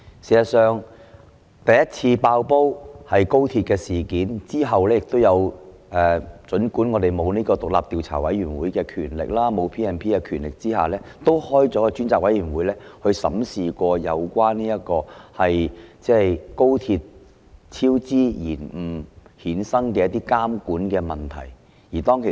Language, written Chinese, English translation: Cantonese, 事實上，第一次"爆煲"是高鐵超支事件，之後儘管我們沒有獨立調查委員會的權力，也沒有 P&P 條例》)的權力，我們仍然成立了一個專責委員會來審視有關高鐵超支延誤所衍生的監管問題。, In fact the first bombshell was the incident of cost overruns of the high - speed rail link . After that although we had neither the authority of an independent commission of inquiry nor the power under the Legislative Council Ordinance we still set up a select committee to look into the monitoring issues arising from cost overruns and delays of the high - speed rail project